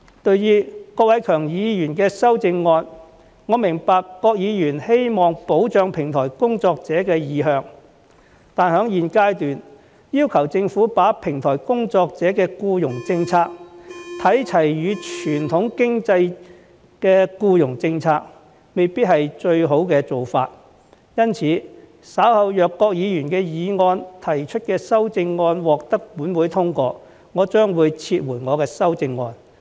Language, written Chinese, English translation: Cantonese, 對於郭偉强議員的修正案，我明白郭議員希望保障平台工作者的意向，但在現階段，要求政府把平台工作者的僱傭政策與傳統經濟的僱傭政策看齊，未必是最好的做法，因此，稍後若郭議員就議案提出的修正案獲本會通過，我將撤回我的修正案。, Regarding Mr KWOK Wai - keungs amendment I understand Mr KWOKs intention to protect platform workers but at this stage it may not be the best option to ask the Government to align the employment policy of platform workers with that of the workers in the traditional economy . Hence if Mr KWOKs amendment to the motion is later passed in this Council I will withdraw my amendment